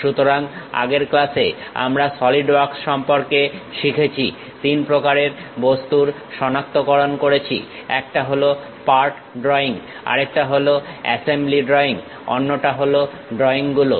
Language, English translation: Bengali, So, in the earlier class, we have learned about Solidworks identifies 3 kind of objects one is part drawing, other one is assembly drawing, other one is drawings